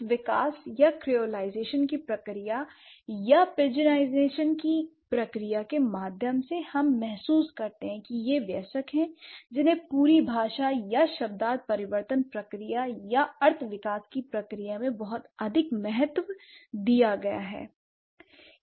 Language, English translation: Hindi, So, because of this development of, or the process of creolization from or through the process of pigeonization, we realize that it's the adults who have been given a lot of importance in the entire language or semantic change process or the semantic development process